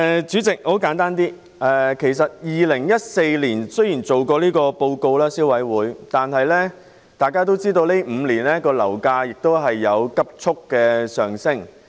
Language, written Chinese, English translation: Cantonese, 雖然消委會在2014年曾發表報告，但大家都知道，這5年樓價急速上升。, Although CC published a report in 2014 we all know that property prices have been surging over the past five years